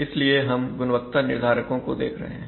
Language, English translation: Hindi, So we are looking at the quality determinants